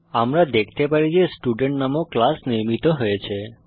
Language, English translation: Bengali, We can see that the class named Student is created